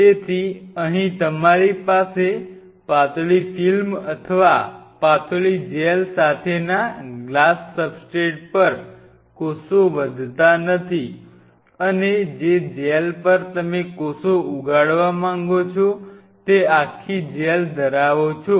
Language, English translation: Gujarati, So, here you have no more growing the cells not on a glass substrate with thin film or a thin film or a thin gel you are having the whole gel and you want to grow the cells on the gel